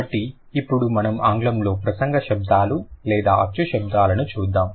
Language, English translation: Telugu, So, now let's look at the speech sounds or the vowel sounds in English